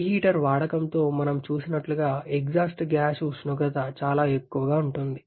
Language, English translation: Telugu, Like we have seen with the use of reheater, the exhaust gas temperature can be very, very high